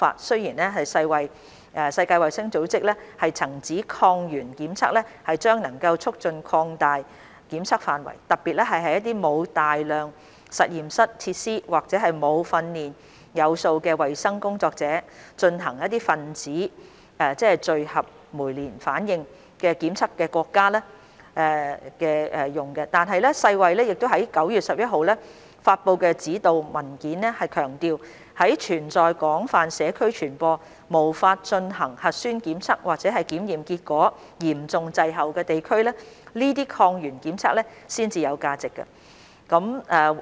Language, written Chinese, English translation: Cantonese, 雖然世界衞生組織曾指抗原檢測將能促進擴大檢測範圍，特別是在沒有大量實驗室設施或沒有訓練有素的衞生工作者進行分子檢測的國家，但世衞在9月11日發布的指導文件強調，在存在廣泛社區傳播、無法進行核酸檢測或檢測結果嚴重滯後的地區，這些抗原檢測才有價值。, Although the World Health Organization WHO considered that antigen tests could expand the scope of testing particularly in countries that do not have extensive laboratory facilities or trained health workers to implement molecular tests WHO guidance published on 11 September reiterated that antigen tests are only valuable in areas where community transmission is widespread and where nucleic acid testing is either unavailable or where test results are significantly delayed